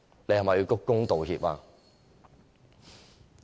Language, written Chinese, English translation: Cantonese, 是否要鞠躬道歉？, Or bow in apologies?